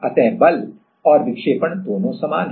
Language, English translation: Hindi, So, the force and deflection both are same